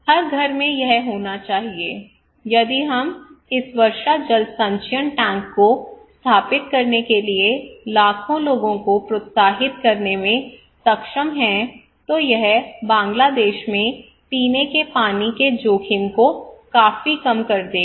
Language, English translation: Hindi, So if we can able to encourage millions of people to install this rainwater harvesting tank, then it will be significantly reduce the drinking water risk in Bangladesh